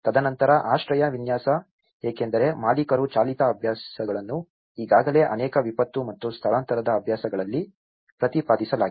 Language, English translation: Kannada, And then shelter design, because this is where the owner driven practices are already advocated in many disaster and displacement practices